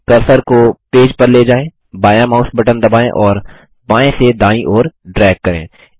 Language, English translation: Hindi, Move the cursor to the page, press the left mouse button and drag from left to right